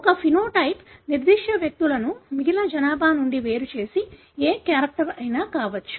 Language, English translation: Telugu, A phenotype could be any character that distinguishes certain individuals from the rest of the population